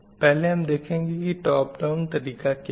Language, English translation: Hindi, First we will see what is top down approach